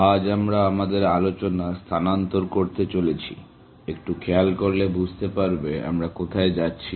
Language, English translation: Bengali, Today, we are going to shift focus, a little bit to see, where we are going